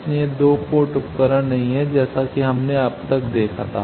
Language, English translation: Hindi, So, these are no more 2 port devices as we have seen till now